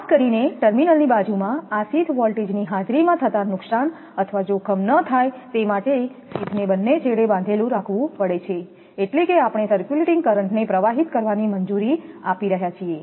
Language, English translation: Gujarati, In order to avoid that the risk of damage or danger arising in the presence of these sheath voltages especially adjacent to terminal, sheaths have to be bonded at both the ends, that means, we are allowing the circulating current to flow